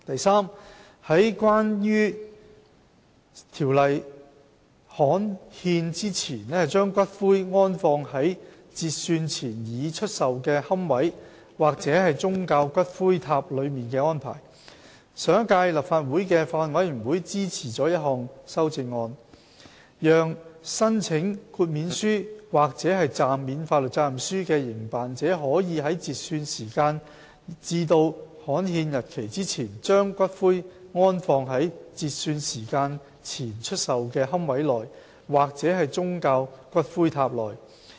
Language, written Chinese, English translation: Cantonese, c 有關在條例刊憲前把骨灰安放在截算前已出售的龕位或宗教骨灰塔內的安排上一屆立法會的法案委員會支持了一項修正案，讓申請豁免書或暫免法律責任書的營辦者可以在截算時間至刊憲日期之前，把骨灰安放在截算時間前出售的龕位內或宗教骨灰塔內。, c Arrangements for the interment of ashes in pre - cut - off - time - sold niches or religious ash pagodas before the enactment of the ordinance The Bills Committee of the previous term of the Legislative Council supported an amendment which allows operators applying for an exemption or a temporary suspension of liability TSOL to inter ashes in pre - cut - off - time - sold niches or religious ash pagodas between the cut - off time and the enactment date